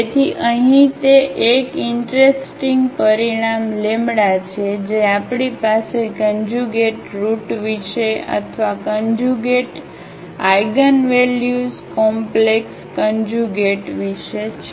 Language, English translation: Gujarati, So, here that is the interesting result we have about the conjugate roots or about the conjugate eigenvalues complex conjugate here